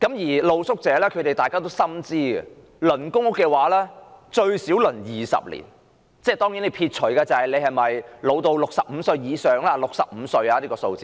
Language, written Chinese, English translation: Cantonese, 而露宿者亦心知肚明，輪候公屋需時至少20年，當然，須撇除申請人是否65歲以上及是否傷殘等因素。, For the street sleepers themselves they are also well aware that it will take at least 20 years for them to be allocated public rental housing and of course excluding factors such as whether the applicant is over 65 years of age or with disabilities